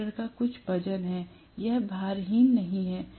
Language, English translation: Hindi, The rotor has some weight; it is not weightless